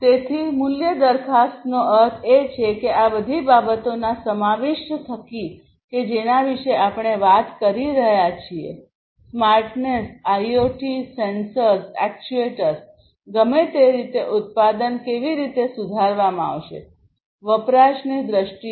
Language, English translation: Gujarati, So, value proposition means like you know through the incorporation of all of these things that we are talking about; the smartness, IoT sensors, actuators whatever how the product is going to be improved; in terms of usage